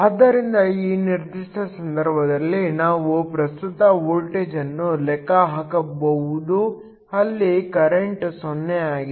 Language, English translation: Kannada, So, In this particular case, we can calculate the voltage at which current is 0